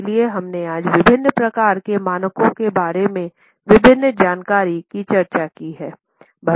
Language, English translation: Hindi, So, here we have discussed today various information about various types of standards